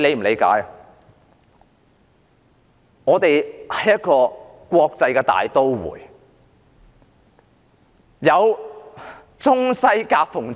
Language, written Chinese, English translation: Cantonese, 香港是一個國際大都會，處在中西夾縫之中。, Hong Kong is an international metropolis situated in the gap between the East and the West